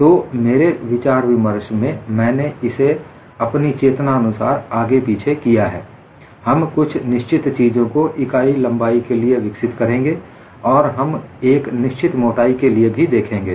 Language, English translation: Hindi, So, in all my discussions, what I have consciously done is to go back and forth on this; certain things we will develop on unit thickness; we will also look at when you have for a finite thickness